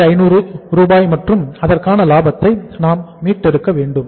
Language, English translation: Tamil, 67,500 is the final amount here we are calculating